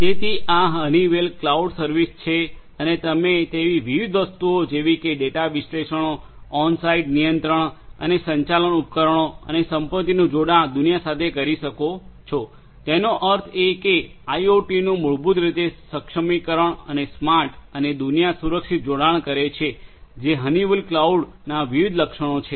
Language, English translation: Gujarati, So, this is this Honeywell cloud service and you can do number of different things data analytics can be done, onsite control and management could be done connected world of devices and assets; that means, IoT basically enablement and smart and secure alliance these are the different features of the Honeywell cloud